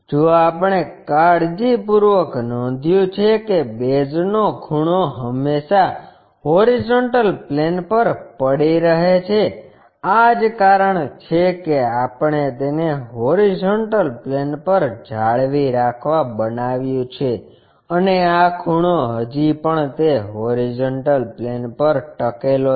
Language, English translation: Gujarati, If we are carefully noting corner of that base is always be resting on horizontal plane, that is the reason we made it to rest it on this horizontal plane and this corner still rests on that horizontal plane